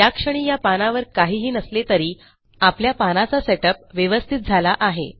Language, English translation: Marathi, Okay, theres nothing in the page at the moment but weve got our page set up